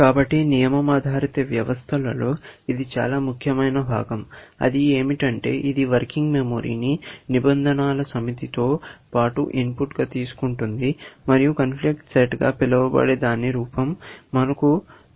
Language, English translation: Telugu, So, this is the most important part of a rule based system; what it does is it takes a working memory as an input, and it takes the set of rules as input, and produces what we call as a conflict set